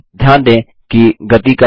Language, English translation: Hindi, Notice that the speed does not decrease